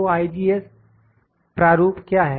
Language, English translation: Hindi, So, what is IGES format